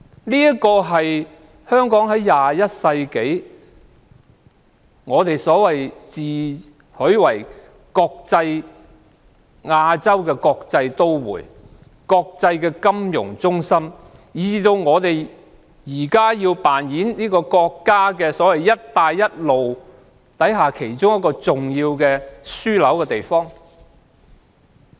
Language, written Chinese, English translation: Cantonese, 這是21世紀的香港，我們自詡為亞洲國際都會、國際金融中心，現時亦要扮演國家"一帶一路"構想下，其中一個重要的樞紐地區。, This is Hong Kong in the 21 century and we boast that Hong Kong is Asias world city an international financial centre and an important hub under the Belt and Road Initiative